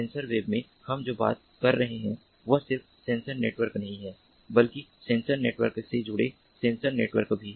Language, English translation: Hindi, in sensor web, what we are talking about is not just the sensor networks, but also sensor networks connected to sensor networks